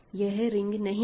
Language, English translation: Hindi, So, it is not a ring